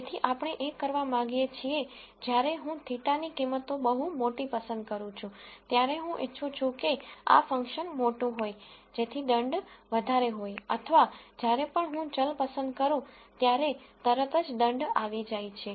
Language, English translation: Gujarati, So, what we want to do is, when I choose the values of theta to be very large, I want this function to be large So, that the penalty is more or whenever I choose a variable right away a penalty kicks in